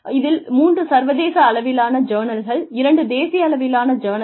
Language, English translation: Tamil, Out of which, three were in international journals, two were in national journals